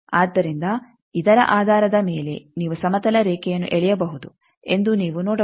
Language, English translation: Kannada, So, that you can see that based on that you can draw a horizontal line suppose from this